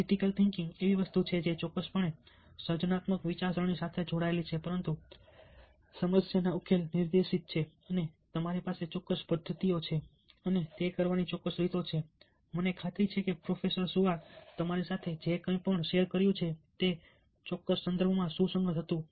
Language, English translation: Gujarati, critical thinking is something which definitely is link to creative thinking, but it is directed at problem solving and you have specific methods, specific way of doing that, and i am sure that whatever process was shared with you was relevant in that particular context